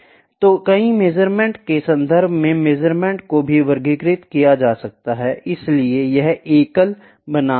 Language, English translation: Hindi, So, in terms of number of measurements, the measurements can also be classified; so, it is single versus multiple